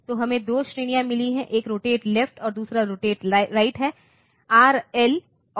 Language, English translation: Hindi, So, we have got 2 categories one is rotate left another is rotate; RL and RR